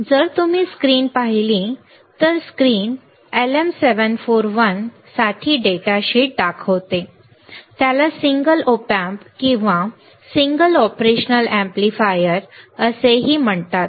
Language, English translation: Marathi, So, if you see the screen the screen shows the data sheet for LM 741, it is also called single op amp or single operational amplifier